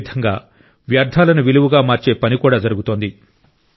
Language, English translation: Telugu, In the same way, efforts of converting Waste to Value are also being attempted